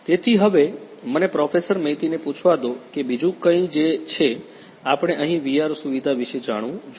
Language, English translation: Gujarati, So, let me now ask Professor Maiti is there anything else that we should know about the VR facility over here